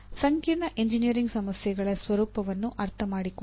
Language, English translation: Kannada, Understand the nature of complex engineering problems